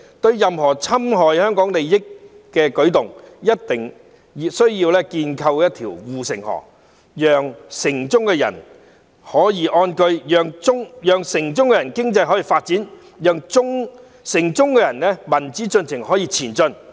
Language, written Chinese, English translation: Cantonese, 對任何侵害香港利益的舉動，一定需要建構一條護城河，讓城中的人可以安居，讓城中的經濟可以發展，讓城中的民主進程可以前進。, We must build a moat to guard against any move that infringes on Hong Kongs interests so that the people in the city can live in contentment the economy in the city can grow and the development of democracy in the city can progress